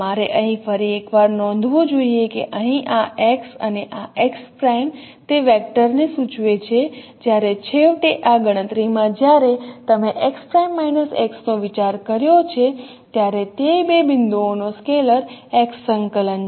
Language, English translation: Gujarati, You should note here once again that here this x and this x prime it denotes the vector whereas finally in this computation when we have considered x prime minus x this is a scalar x coordinate of those two points